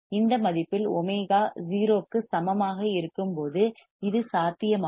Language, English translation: Tamil, This is possible this is possible when we have omega into this value equals to 0